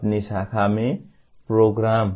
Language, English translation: Hindi, program in your branch